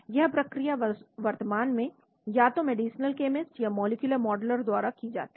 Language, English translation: Hindi, This procedure is currently undertaken either by the medicinal chemist or the molecular modeler